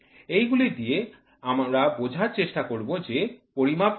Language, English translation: Bengali, With this we try to see will try to understand what is measurement